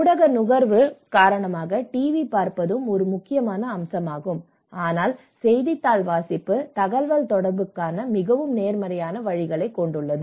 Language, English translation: Tamil, And because media consumption, TV watching is also an important aspect but then here the newspaper reading have shown much more positive ways of communication